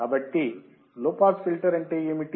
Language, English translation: Telugu, So, what does low pass filter means